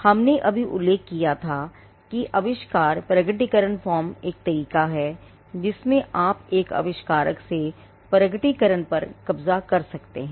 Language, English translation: Hindi, We had just mentioned that, invention disclosure form is one way in which you can capture the disclosure from an inventor